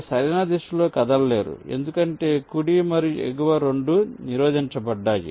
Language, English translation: Telugu, you cannot move in the right direction because right and top, both are blocked